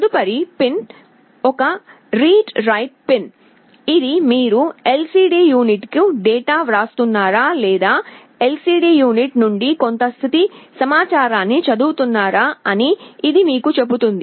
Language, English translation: Telugu, The next pin is a read/write pin, this tells you whether you are writing a data to the LCD unit or you are reading some status information from the LCD unit